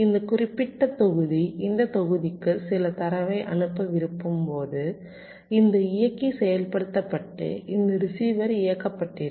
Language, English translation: Tamil, let say, when this particular module once to sends some data to this module, then this driver will be activated and this receiver will be enabled